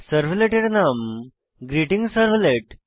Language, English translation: Bengali, Note that the servlet name is GreetingServlet